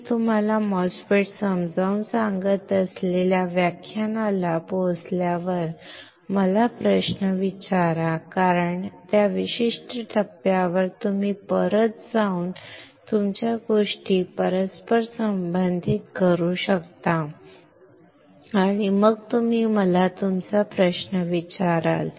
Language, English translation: Marathi, Ask me questions when we reach to the lecture where I am explaining you the MOSFET, because at that particular point you can go back and correlate your things and then you ask me your question